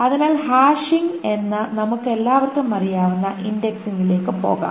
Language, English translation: Malayalam, So let us go to the indexing that we all know about which is the hashing